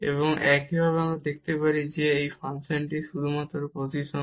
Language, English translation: Bengali, And similarly we can show because this function is just now symmetric